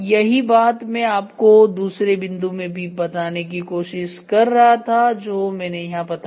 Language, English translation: Hindi, This is what I was trying to explain in the second point also this is getting told here